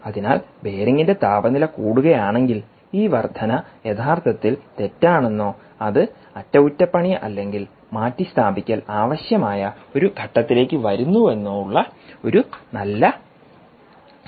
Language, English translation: Malayalam, so if the temperature of the bearing increases is a good indicator that this bearing is indeed faulty or its coming to a stage where it requires maintenance or replacement